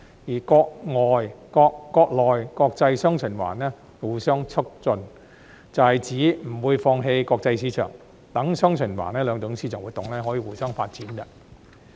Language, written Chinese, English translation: Cantonese, 至於國內國際"雙循環"互相促進，則指不會放棄國際市場，讓"雙循環"兩種市場活動可以互相發展。, As for enabling domestic and foreign markets to interact positively with each other it means that the international market will not be given up so that the two forms of market activities can develop jointly under dual circulation